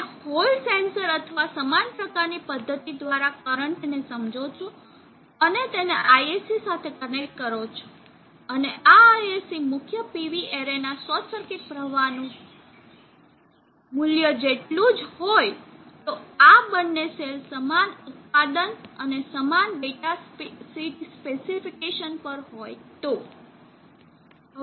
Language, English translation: Gujarati, If you sense the current through hall sensor or similar such method and connect it to ISC, and this ISC is supposed to represent the short circuit current of the main PV array if these two cells are at the same manufacture and similar data sheets